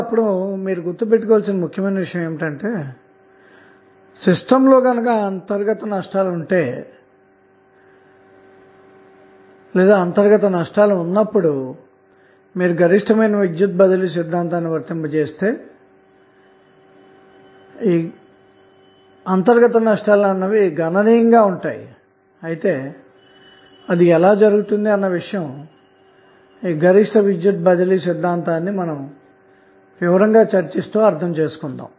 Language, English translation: Telugu, Now, 1 important thing which you have to keep in mind that, when you see the internal losses present in the system, and if you apply maximum power transfer theorem, it means that there would be significant internal losses, how it will happen, when we will discuss the maximum power transfer theorem in detail, we will understand this particular phenomena